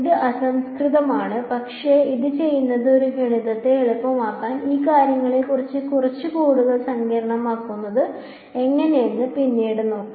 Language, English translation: Malayalam, It is crude but what it does is it makes a math easy and later we will see how to get a little bit more sophisticated about these things